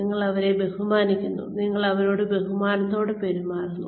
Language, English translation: Malayalam, You respect them, you treat them with respect